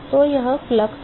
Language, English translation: Hindi, So, that is the flux